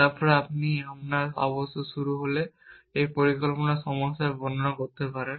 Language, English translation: Bengali, Then you can describe a planning problem by saying this is my start state